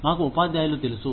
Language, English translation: Telugu, We know the teachers